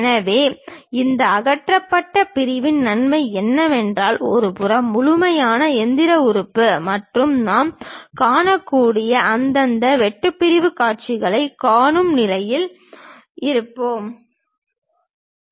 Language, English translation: Tamil, So, the advantage of this removed section is, at one side we will be in a position to see the complete machine element and also respective cut sectional views we can see